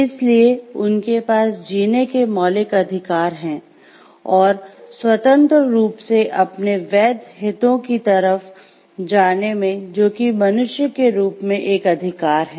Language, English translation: Hindi, So, they have the fundamental rights to leave and freely pursue their legitimate interest which is a right as the human being